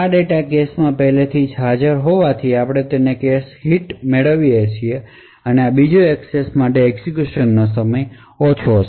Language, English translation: Gujarati, Since this data is already present in the cache, therefore we obtain a cache hit and the execution time for this second access would be considerably smaller